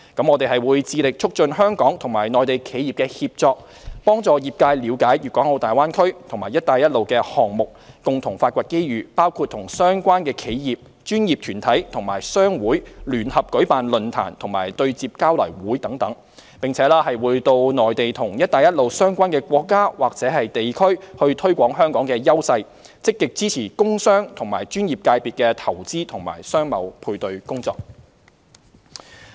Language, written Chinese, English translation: Cantonese, 我們會致力促進香港與內地企業的協作，幫助業界了解大灣區及"一帶一路"的項目，共同發掘機遇，包括與相關企業、專業團體和商會聯合舉辦論壇及對接交流會等，並且會到內地和"一帶一路"相關國家或地區推廣香港的優勢，積極支持工商和專業界別的投資及商貿配對工作。, We will strive to promote collaboration between Hong Kong and Mainland enterprises help the industry understand the Greater Bay Area and the Belt and Road projects and jointly explore opportunities which include co - organizing forums and business referral exchanges with the relevant enterprises professional bodies and business associations promoting the advantages of Hong Kong on the Mainland and the Belt and Road countries or regions and actively supporting the investment and business matching services of business and professional sectors